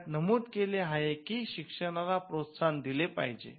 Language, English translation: Marathi, It stated that there has to be encouragement of learning